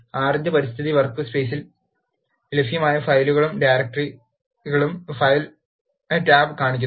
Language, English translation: Malayalam, The Files tab shows the files and directories that are available in the default workspace of R